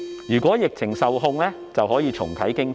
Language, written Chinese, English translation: Cantonese, 如果疫情受控，便可以重啟經濟。, If the pandemic is under control we will be able to relaunch the economy